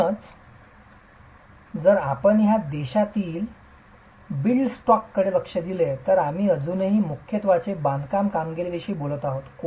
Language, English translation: Marathi, So essentially, if you look at the built stock in this country, we are still talking of predominantly masonry constructions